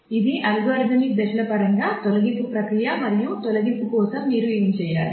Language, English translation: Telugu, So, this is the deletion process in terms of algorithmic steps and what you need to do for deletion